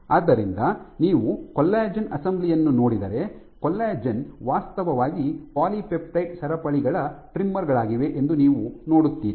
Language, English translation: Kannada, So, if you look at collagen assembly you see that there are actually collagen is trimmers of polypeptide chains